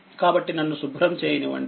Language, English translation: Telugu, Therefore let me clear it